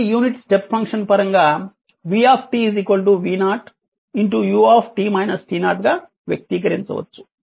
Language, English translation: Telugu, It can be expressed in terms of unit step function as v t is equal to v 0 u t minus t 0